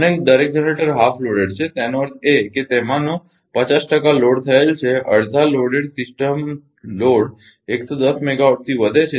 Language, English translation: Gujarati, And each generator is half loaded; that means, 50 percent of that is loaded half loaded the system load increases by 110 megawatt